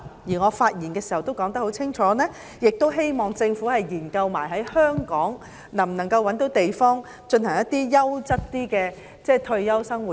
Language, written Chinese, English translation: Cantonese, 我在發言時也清楚說明，希望政府一併研究在香港覓地，建設較優質的退休生活區。, In my speech I also said clearly that I hope the Government will also conduct a study on identifying sites in Hong Kong for the development of quality living areas for retirement